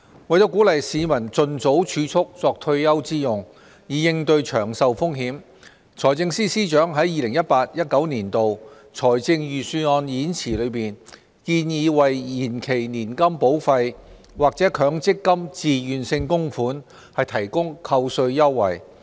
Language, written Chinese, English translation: Cantonese, 為鼓勵市民盡早儲蓄作退休之用，以應對長壽風險，財政司司長在 2018-2019 年度財政預算案演辭中建議為延期年金保費或強積金自願性供款提供扣稅優惠。, In the 2018 - 2019 Budget Speech the Financial Secretary suggested introducing tax concessions for deferred annuity premiums and Mandatory Provident Fund MPF Voluntary Contributions to encourage the public to save more for retirement as early as possible with a view to managing longevity risks